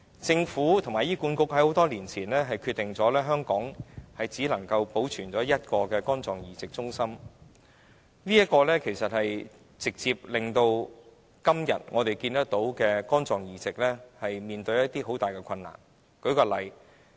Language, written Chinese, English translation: Cantonese, 政府和醫管局在多年前已決定在香港只保存一個肝臟移植中心，這直接造成我們今天看到的肝臟移植所面對的困難。, Many years ago the Government and HA decided to retain only one liver transplant centre in Hong Kong and this is a direct cause to the difficulties in liver transplantation that we have to face today